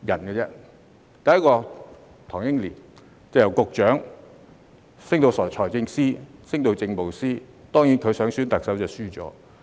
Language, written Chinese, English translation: Cantonese, 第一位是唐英年，由局長升至財政司司長和政務司司長，當然他還想選特首，但落敗了。, The first is Henry TANG Ying - yen who was promoted from Director of Bureau to Financial Secretary and to Chief Secretary for Administration . Of course he also wished to be elected Chief Executive but failed